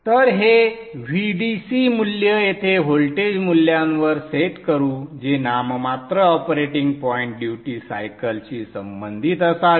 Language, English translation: Marathi, So let us set this VDC value here to a voltage value which should correspond to the nominal operating point duty cycle